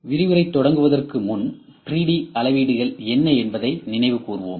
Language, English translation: Tamil, Before the start of the lecture I will just tell you what is 3D measurements